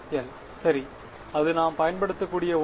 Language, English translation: Tamil, 1 right, so that is something that we can use